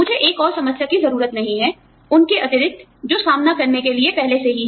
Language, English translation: Hindi, I do not need one more problem, in addition to the ones, that i already have, to deal with